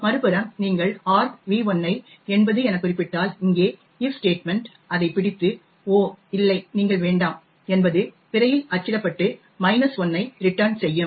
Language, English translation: Tamil, On the other hand if you specify argv1 as 80 then it is caught by this if statement over here we get ‘Oh no you do not’ gets printed on the screen and there is a return minus 5